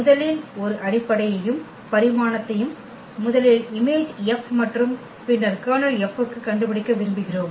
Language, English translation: Tamil, We want to find basis a basis and the dimension of first the image of F and then second for the Kernel of F